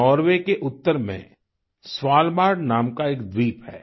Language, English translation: Hindi, There is an island named Svalbard in the north of Norway